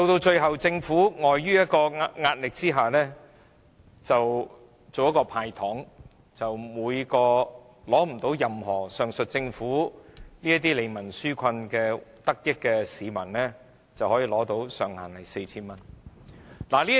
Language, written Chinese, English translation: Cantonese, 最後，政府礙於壓力而"派糖"，向未能從上述任何利民紓困措施得益的市民每人"派錢"，上限 4,000 元。, In the end the Government is pressured into dishing out candies so that anyone who cannot benefit from the aforesaid relief measures will be given cash handouts of up to 4,000